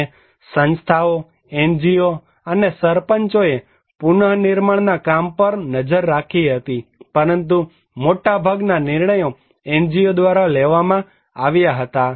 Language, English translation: Gujarati, And organizations; NGO and Sarpanch monitored the reconstruction work but majority of the decision was taken by NGO